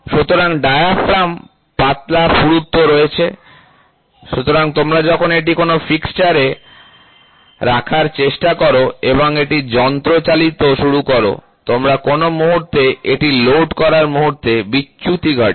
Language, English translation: Bengali, So, in diaphragm they are all thin thickness, so when you try to put it in a fixture and start machining it, moment you load it in a fixture, the deflection happens